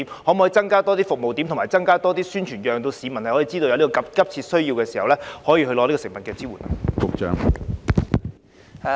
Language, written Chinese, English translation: Cantonese, 當局可否增加服務點和宣傳，讓市民知道在有急切需要時，可以獲得食物方面的支援？, Can the authorities increase the number of service locations and strengthen publicity so that members of the public know they can get food support in case of urgent needs?